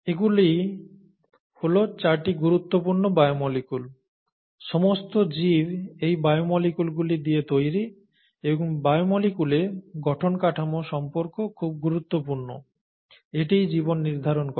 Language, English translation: Bengali, So these are the 4 fundamental biomolecules, all life is made out of these biomolecules and the structure function relationship is important in these biomolecules, many of these biomolecules, and that is what determines life itself